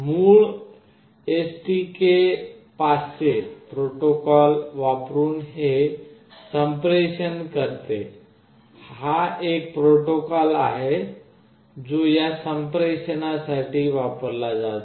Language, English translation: Marathi, It communicates using the original STK500 protocol, this is a protocol that is used for this communication